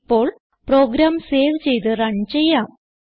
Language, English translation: Malayalam, Now, save and run this program